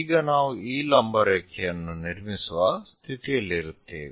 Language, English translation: Kannada, So, we will be in a position to construct this perpendicular line